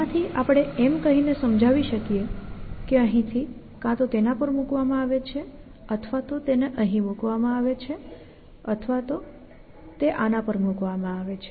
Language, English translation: Gujarati, From this we can illustrate by saying that from here the actions are either put it on this are either put it either put it on this and so on and so